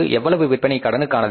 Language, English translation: Tamil, How many sales are on cash